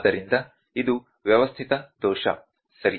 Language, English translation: Kannada, So, this is a systematic error, ok